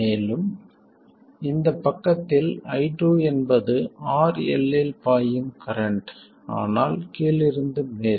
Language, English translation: Tamil, And on this side I2 is the current flowing in RL but from bottom to top